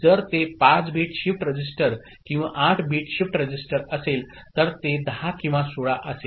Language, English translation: Marathi, So, if it is 5 bit shift register or 8 bit shift register, it will be 10 or 16